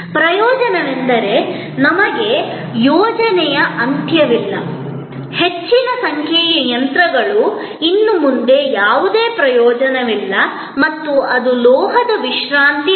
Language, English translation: Kannada, The advantage is that, we do not have at the end of the project; a large number of machines which are of no longer of any use and that became a resting heap of metal